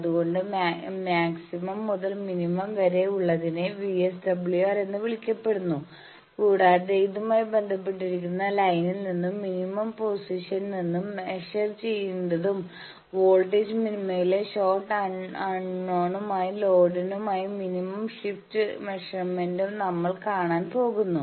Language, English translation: Malayalam, So, the maximum to minimum that is called VSWR, also it is related to the, we will see these thing we need to measure from the line and measurement of the minimum position, minimum shift in voltage minima for short and unknown load